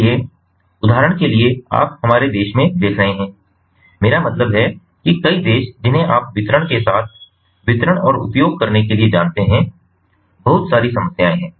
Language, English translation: Hindi, so what is you see, we, you in our country, for example, i mean many countries, you know, with the distribution, generation to distribution and use, there are lot of problems